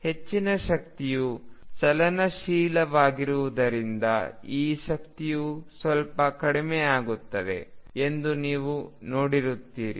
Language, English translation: Kannada, And since the majority of energy is kinetic you will see that now the energy gets lowered a bit